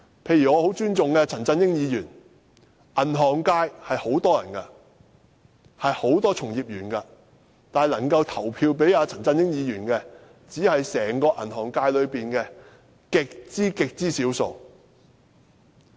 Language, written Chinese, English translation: Cantonese, 例如我很尊重的陳振英議員，銀行界有很多從業員，但能夠投票給陳振英議員的，只是整個銀行界中的極少數。, For example Mr CHAN Chun - ying whom I respect very much is returned from the banking sector which has many practitioners . But only a very small fraction of the practitioners have the right to cast votes for him . They account for a very small percentage of the banking sector